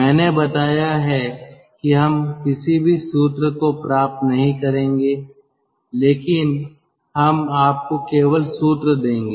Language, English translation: Hindi, i have told that we will not derive any formula, but we will just give you the formula